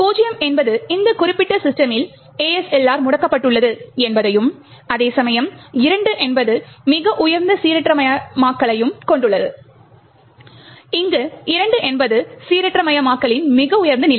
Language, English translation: Tamil, 0 means that ASLR is disable in that particular system, while 2 has the highest level of randomization, where 2 is the highest level of randomization